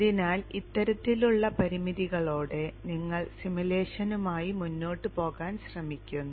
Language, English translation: Malayalam, So with this kind of a limitation you try to go ahead with the simulation